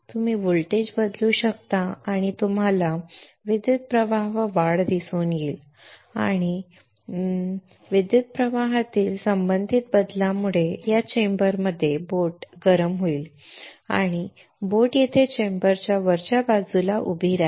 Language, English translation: Marathi, You can change the voltage and you will see increase in current and that corresponding change in current will cause the boat to heat within this chamber and the boat will stand here in the top within the chamber